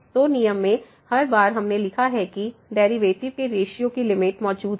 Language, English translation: Hindi, So, that is what in the rule every time we have written provided the limit of the ratio of the derivatives exist